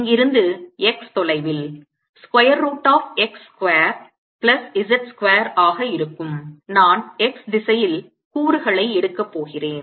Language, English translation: Tamil, x is going to be square root of x square plus z square and i am going to take the component, the x direction